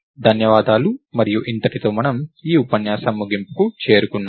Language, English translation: Telugu, So, thank you and this brings me to the end of this lecture